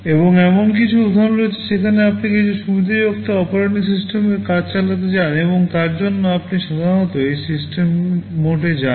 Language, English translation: Bengali, And there are instances where you want to run some privileged operating system tasks, and for that you typically go to this system mode